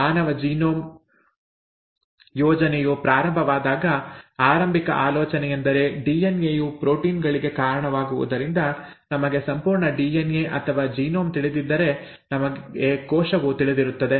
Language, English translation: Kannada, When the DNA project, DNA sorry, when the human genome project was initiated the initial thought was, since DNA leads to proteins, if we know the complete DNA or the genome as it is called, we know the cell, okay